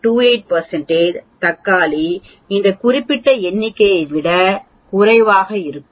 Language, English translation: Tamil, 28 percent of the tomatoes will weigh less than this particular number very interesting